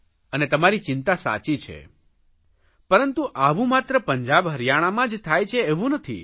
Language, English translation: Gujarati, Your concerns are right but this just does not happen in Punjab and Haryana alone